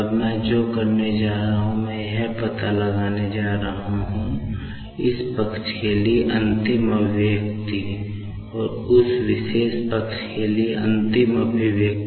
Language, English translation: Hindi, Now, what I am going to do is, I am just going to find out, the final expression for this side and the final expression for that particular side